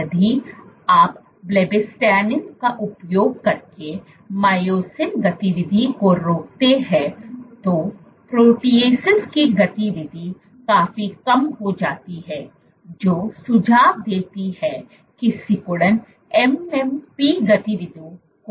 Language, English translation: Hindi, If you inhibit myosin activity using blebbistatin, activity of the protease significantly reduced suggesting that contractility